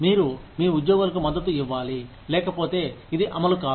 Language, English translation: Telugu, You have to, want to support your employees, otherwise this will not run